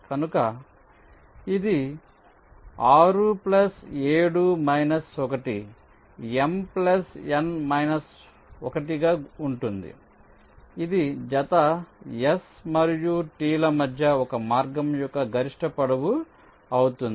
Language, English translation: Telugu, ok, m plus n minus one, that will be the maximum length of a path between any pair of s and t